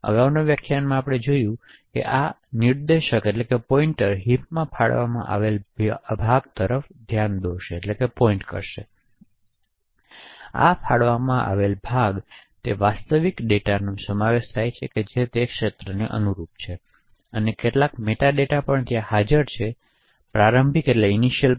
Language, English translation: Gujarati, So as we have seen in the previous lecture but this particular pointer would be actually pointing to a allocated chunk in the heat, so this allocated chunk comprises of the actual data which is present corresponding to that region and also some particular metadata which is also present four bytes and eight bytes before the starting pointer ptr